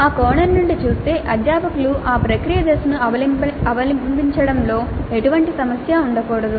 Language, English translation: Telugu, Looked it from that perspective, faculty should have no problem in adopting that process step